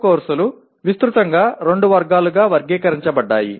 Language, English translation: Telugu, Core courses are classified into broadly two categories